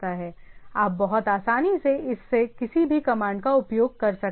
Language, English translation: Hindi, You can pretty easily use any command from this one